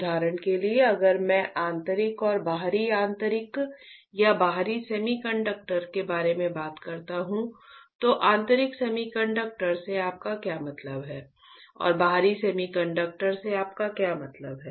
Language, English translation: Hindi, For example, if I talk about intrinsic or extrinsic intrinsic or extrinsic semiconductors right, what do you mean by intrinsic semiconductor and what do you mean by extrinsic semiconductor right